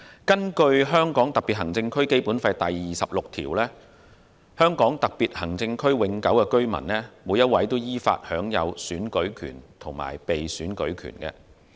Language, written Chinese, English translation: Cantonese, 根據香港特別行政區《基本法》第二十六條的規定，香港特別行政區永久性居民依法享有選舉權和被選舉權。, According to Article 26 of the Basic Law of the Hong Kong Special Administrative Region HKSAR permanent residents of HKSAR shall have the right to vote and the right to stand for election in accordance with law